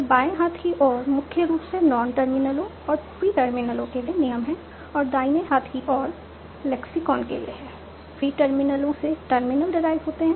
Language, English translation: Hindi, So left inside is mainly the rules for non terminals and pre terminals, and right inside are for the lexicon, preterminus deriving the terminals